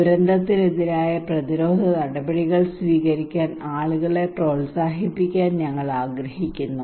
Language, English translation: Malayalam, We want to encourage people to take preventive action against disaster